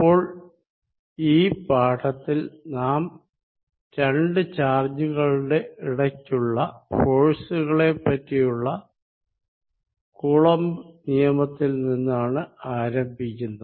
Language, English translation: Malayalam, So, we start with in this lecture, we going to start with Coulomb's law for forces between two charges